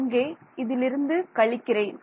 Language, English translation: Tamil, So, I am subtracting this and this right